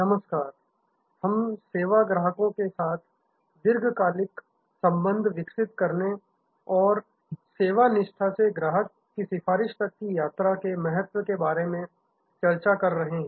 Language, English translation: Hindi, Hello, we are discussing about developing long term relationship with service customers and the importance of the journey from service loyalty to customer advocacy